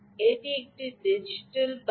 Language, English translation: Bengali, it's a digital bus